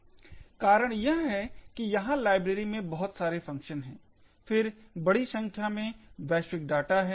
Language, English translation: Hindi, The reason being that there are far more number of functions in a library then the number of global data